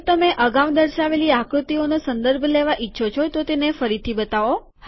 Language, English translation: Gujarati, If you want to refer to a previously shown figure, show it again